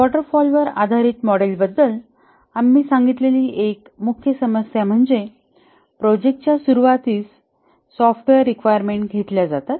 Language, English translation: Marathi, One of the main problem that we had said about the waterfall based model is that the requirement is defined and frozen at the start of the project